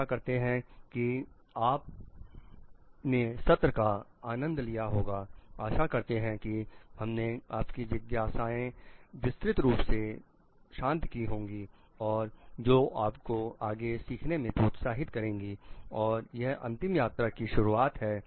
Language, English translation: Hindi, Hope you have enjoyed the sessions, hope we have been able to give our extensive coverage to your queries and like which has maybe encouraged you to learn further we this is the this being the last session